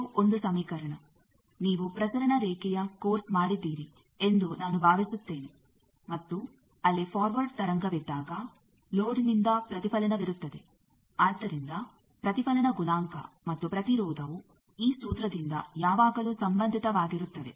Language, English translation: Kannada, This is an equation I think you have done transmission line course and they are when there is a forward wave there is a reflection from a load, so that reflection coefficient and the impedance they are always related by this formula